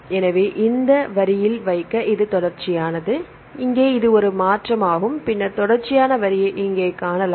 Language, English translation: Tamil, So, if to put to the line here this is continuous and here this is one shift and then you can see the continuous line here right